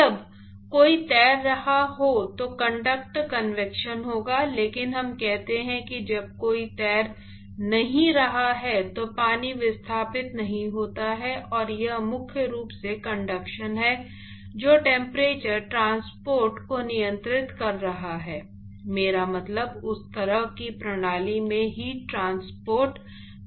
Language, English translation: Hindi, Of course, there will be conduct convection when somebody is swimming, but let us say when nobody is swimming then water is not displaced and it is primarily conduction which is actually controlling the temperature transport, I mean heat transport process in that kind of a system